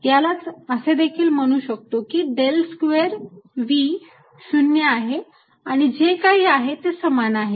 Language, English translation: Marathi, this is equivalent to saying del square v zero and all that is equivalent